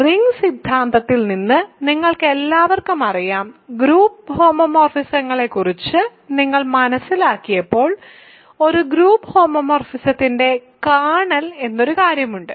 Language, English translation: Malayalam, So, you all know from group theory and when you learned about group homomorphisms there is something called kernel of a group homomorphism